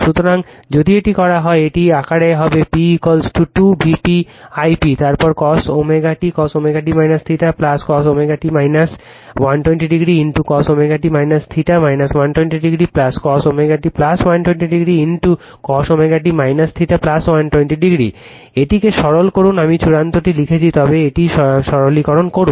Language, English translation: Bengali, So, such that if you do this, it will be in this form p is equal to 2 V p I p, then cos omega t cos omega t minus theta plus cos omega t minus 120 degree into cos omega t minus theta minus 120 degree plus cos omega t plus 120 degree into cos omega t minus theta plus 120 degree, you simplify this I have written the final one, but you simplify this right